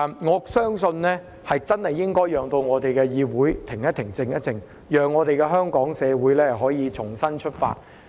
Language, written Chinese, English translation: Cantonese, 我相信真的要讓議會停一停、靜一靜，讓香港社會可以重新出發。, I believe the legislature should really be allowed to pause and calm down a little so that Hong Kong society can set off anew